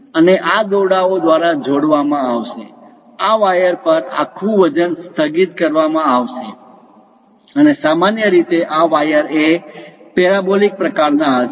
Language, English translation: Gujarati, And these will be connected by ropes, entire weight will be suspended on these wires, and typically these wires will be of parabolic kind of path